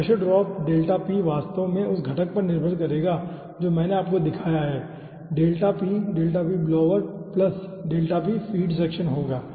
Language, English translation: Hindi, okay, so pressure drop, delta p will be actually dependent on the component